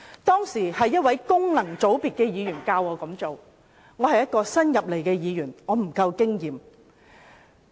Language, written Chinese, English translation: Cantonese, 當時一位功能界別的議員教我這樣做，因我是新加入議會，沒有足夠經驗。, A functional constituency Member advised me to take that as I was new to the Legislative Council and did not have much experience